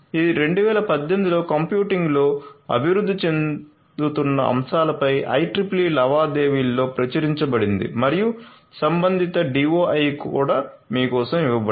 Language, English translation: Telugu, It was published in the IEEE Transactions on Emerging Topics in Computing in 2018 and the corresponding DOI is also given for you